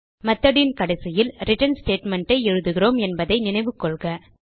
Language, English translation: Tamil, Remember that we write the return statement at the end of all statements in the method